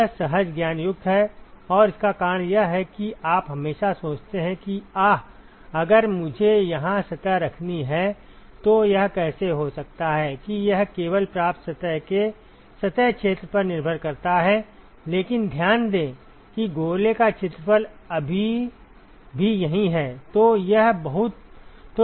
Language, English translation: Hindi, It is counter intuitive and the reason why it is counter intuitive is that you would always think that, ahha, if I have to if I have to place the surface here, then how come that it depends only on the surface area of the receiving surface, but note that the area of the sphere is still here